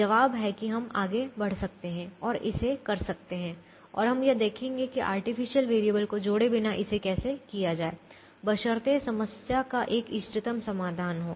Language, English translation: Hindi, the answer is we can proceed and do it and we will show how to do it without adding the artificial variable, provided the problem has an optimum solution